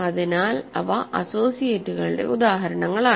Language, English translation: Malayalam, So, these are also associates